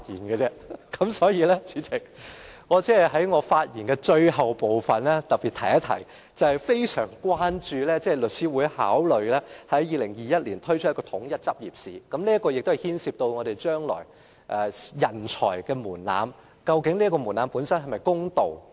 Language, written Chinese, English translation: Cantonese, 此外，代理主席，我還想在發言的最後部分特別提出，我對於律師會考慮在2021年舉辦統一執業試深表關注，因為這牽涉日後法律專業人才的門檻是否公道。, Besides Deputy President in the last part of my speech I want to highlight my grave concern about Law Societys intent to hold a common entrance examination in 2021 because it involves the issue of whether the future threshold will be fair for the legal profession